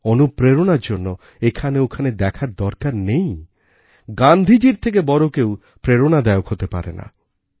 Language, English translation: Bengali, And for inspiration, there's no need to look hither tither; what can be a greater inspiration than Gandhi